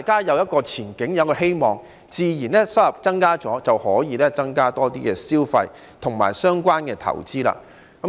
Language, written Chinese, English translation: Cantonese, 有了前景和希望，收入也會增加，大家自然會增加消費及相關投資。, With prospects and hopes wages will also increase and people will naturally spend more on consumption and investment